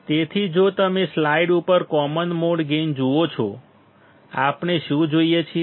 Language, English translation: Gujarati, So, if you see common mode gain on the slide; what we see